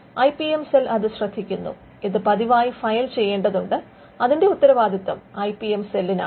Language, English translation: Malayalam, So, the IPM cell also takes care of that, it has to be regularly filed, so that responsibility falls on the IPM cell as well